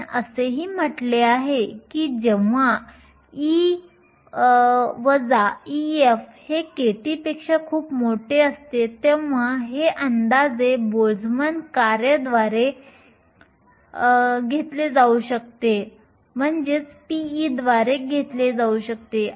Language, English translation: Marathi, We also said that when e minus e f is much larger than k t this can be approximated by a Boltzmann function p of e